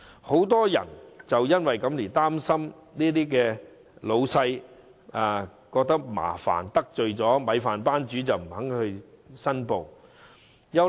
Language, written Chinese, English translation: Cantonese, 很多申請人怕令老闆感到麻煩，怕得罪"米飯班主"，所以不願意申報。, Many applicants fear that it may cause troubles to their employers and they dare not offend their bosses so they are reluctant to make applications